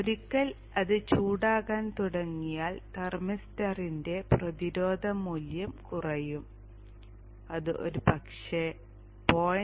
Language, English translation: Malayalam, And once that starts becoming hot, the resistance value of the thermistor will decrease and it may probably become the order of something 0